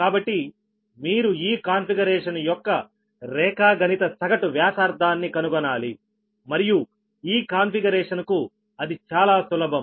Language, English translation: Telugu, so you have to find geometric mean radius of this configuration and this configuration, right then for this one, very simple, it is